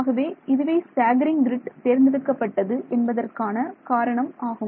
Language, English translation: Tamil, So, that is the reason why this staggered grid is chosen